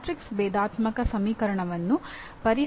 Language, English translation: Kannada, Solving matrix differential equation